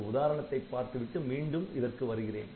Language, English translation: Tamil, So, I will take an example then I will come back to this ok